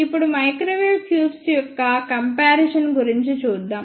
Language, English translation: Telugu, Now, let us move onto the comparison of microwave tubes